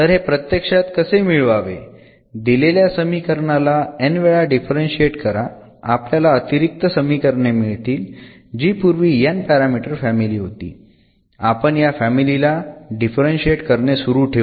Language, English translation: Marathi, So, here how to get this actually, so differentiate the given equation n times; and we get an additional equations there was a given n parameter family equation we differentiate keep on differentiating this family